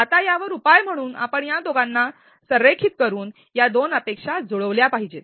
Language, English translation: Marathi, Now the solution to this is that we need to match these two expectations by aligning the two